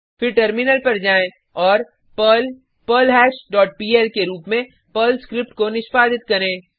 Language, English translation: Hindi, Then switch to terminal and execute the Perl script as perl perlHash dot pl and press Enter